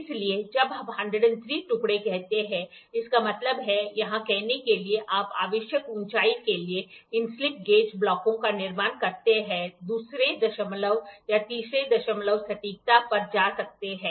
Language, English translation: Hindi, So, when we say 103 pieces; that means, to say here you can go to the second decimal or third decimal accuracy while building these slip gauge blocks for a required height